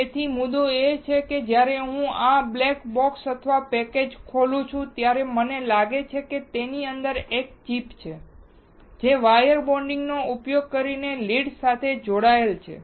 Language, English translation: Gujarati, So, the point is, when I open this black box or the packaged, I find there is a chip within it, which is connected to the leads using the wire bonding